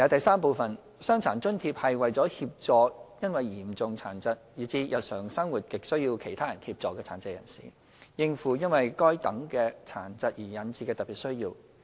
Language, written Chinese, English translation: Cantonese, 三"傷殘津貼"是為協助因嚴重殘疾，以致日常生活亟需他人協助的殘疾人士，應付因該等殘疾而引致的特別需要。, 3 DA is provided to persons with severe disabilities who as a result require substantial help from others to cope with daily life to meet special needs arising from their disabling conditions